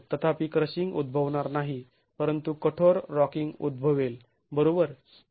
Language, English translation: Marathi, However, crushing will not occur but rigid rocking will occur